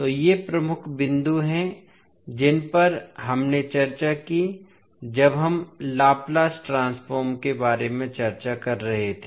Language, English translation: Hindi, So, these are the key points which we discussed when we are discussing about the Laplace transform